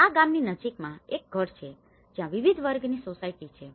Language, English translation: Gujarati, This is a house nearby a village where they have different class societies